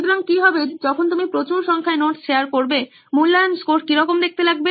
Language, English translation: Bengali, So, what is the, when you have a high number of notes shared, what is the assessment score look like